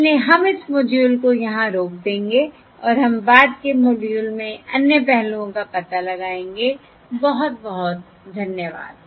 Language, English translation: Hindi, okay, So we will stop this module here and we will explore other aspects in the subsequent modules